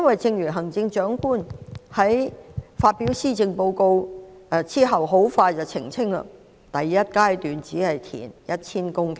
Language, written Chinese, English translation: Cantonese, 正如行政長官在發表施政報告後不久便澄清，第一階段只會填海 1,000 公頃。, Rightly as in the clarification made by the Chief Executive soon after she had presented the Policy Address only 1 000 hectares of land would be reclaimed in the first phase